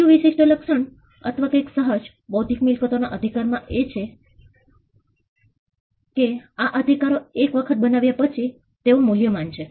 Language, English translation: Gujarati, Another trait or something inherent in the nature of intellectual property right is that, these rights once they are created, they are valuable